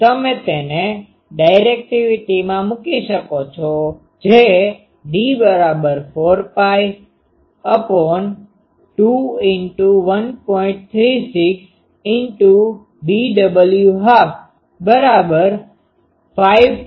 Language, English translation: Gujarati, So, you can put it into the directivity that will be 4 pi by 2 into 1